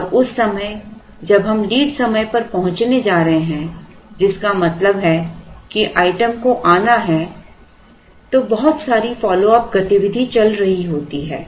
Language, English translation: Hindi, And just about the time we are going to reach the lead time which means the item has to come then there is a lot of follow up activity going on